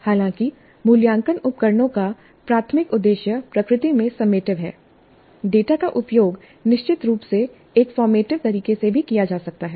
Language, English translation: Hindi, So though the assessment instruments primary purpose is summative in nature, the data can certainly be used in a formative manner also